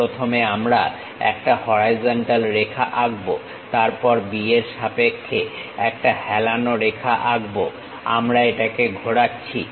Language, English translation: Bengali, For that the same procedure we will follow first we will draw a horizontal line, then draw an incline line with respect to B we are rotating it